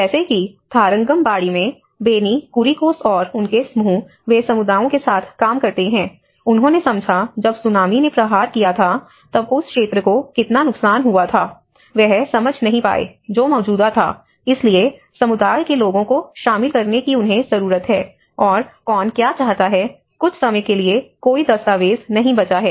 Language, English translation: Hindi, Like for instance in Tharangambadi, Benny Kuriakose and his team, they work with the communities, they understood even when the Tsunami have struck they did not even get the area of which has been damaged, I mean which was an existing, so they need to involve the community people and so that is where who wants what, there is no documents left over sometime